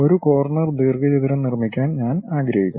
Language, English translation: Malayalam, I would like to construct a corner rectangle